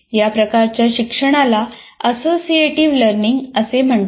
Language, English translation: Marathi, This form of learning is called associative learning